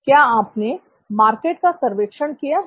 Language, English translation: Hindi, Have you done a market survey